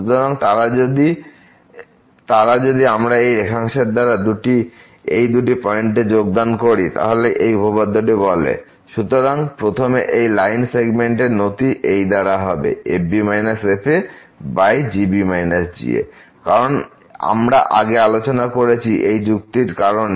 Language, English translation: Bengali, So, they will if we join these two points by this line segment, then this theorem says; so, first of all this the slope of this line segment will be given by this minus over minus because of the same argument as we have discussed earlier